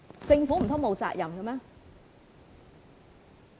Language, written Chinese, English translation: Cantonese, 政府難道沒責任嗎？, Does the Government not have a role to play?